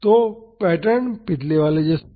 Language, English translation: Hindi, So, the pattern is same as the previous